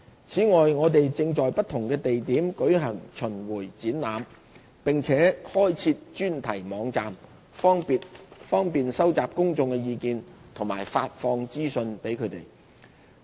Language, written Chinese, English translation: Cantonese, 此外，我們正在不同地點舉行巡迴展覽，並開設專題網站，方便收集公眾意見和向公眾發放資訊。, In addition we organized roving exhibitions and established a dedicated website to collect views from the general public and disseminate information to them